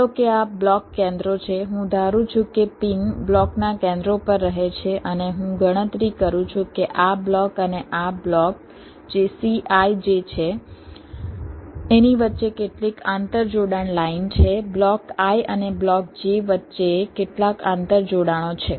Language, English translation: Gujarati, i assume that the pins are residing at the centers of blocks and i calculate how many interconnection lines are there between this block and this block, that is, c i j between block i and block j